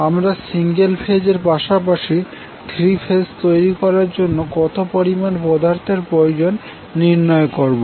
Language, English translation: Bengali, We will try to find out how much material is required to create the single phase system as well as three phase system